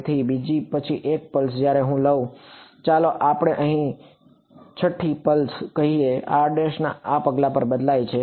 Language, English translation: Gujarati, So, when I take let us say the 6th pulse over here r prime varies over this pulse